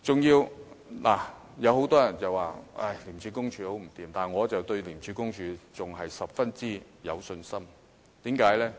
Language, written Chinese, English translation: Cantonese, 有很多人批評廉署很不濟，但我對廉署仍然十分有信心，為甚麼？, Many people criticize the incompetence of ICAC but I still feel very confident about ICAC . Why?